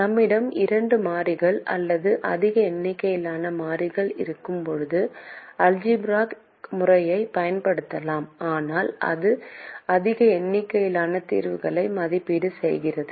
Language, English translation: Tamil, the algebraic method can be used when we have more than two variables or large number of variables, but it evaluates a large number of solutions